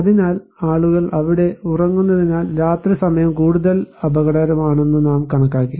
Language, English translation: Malayalam, So, we considered that night time may be more risky because people are sleeping there